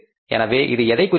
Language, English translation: Tamil, So, it means what does it mean